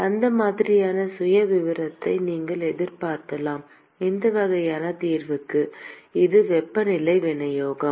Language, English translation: Tamil, That is the kind of profile that you would expect for this kind of a solution this is the temperature distribution